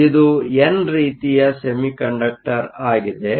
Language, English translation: Kannada, So, this is an n type semiconductor